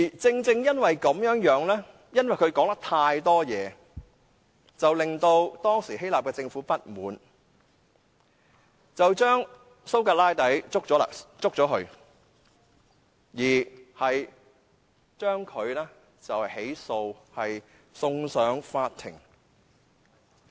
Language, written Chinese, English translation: Cantonese, 正正因為他說話太多，令當時的希臘政府不滿，將蘇格拉底拘捕並作出起訴，將他送上法庭。, Precisely because of his talkative nature he vexed the then Greek Government which arrested and prosecuted him and sent him to court